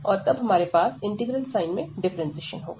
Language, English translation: Hindi, And then we have this differentiation under integral sign